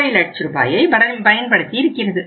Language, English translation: Tamil, 5 lakh rupees